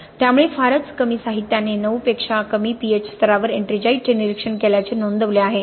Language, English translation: Marathi, So very few literature has actually reported observing ettringite at pH levels of below 9, okay